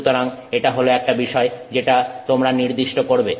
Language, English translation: Bengali, So, that is something that you specify